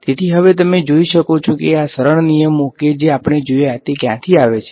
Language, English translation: Gujarati, So, now you can see where these the simple rules that we have seen where do they come from